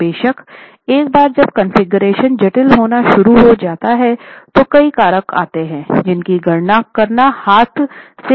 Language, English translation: Hindi, Of course once the configuration starts becoming complicated, a number of factors come into play and these may not be so easy to carry out by hand calculations